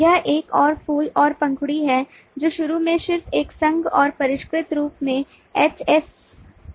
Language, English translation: Hindi, this is another flower and petal, initially just an association and refined to hasa